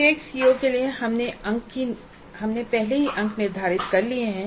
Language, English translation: Hindi, Then for each COO we already have determined the marks